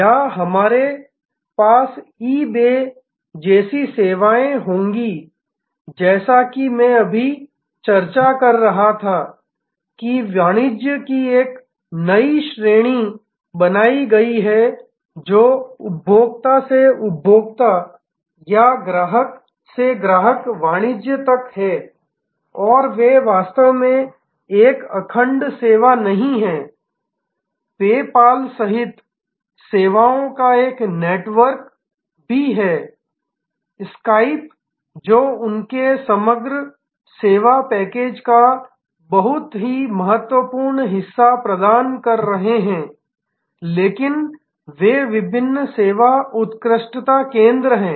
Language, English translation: Hindi, Or we will have services like eBay which is as I was just now discussing created a new class of commerce, which is consumer to consumer or customer to customer commerce and they themselves are not actually a monolithic service, there also a network of services including PayPal, Skype which are providing very important part of their overall service package, but they are different service excellence centres